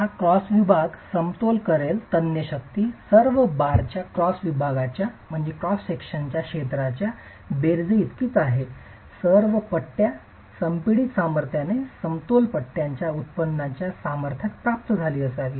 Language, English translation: Marathi, So, the tensile force that this cross section will equilibrate is equal to the sum of the area of cross section of all the bars, all the bars should have yielded into the yield strength of the bars, equilibrated by the compressive strength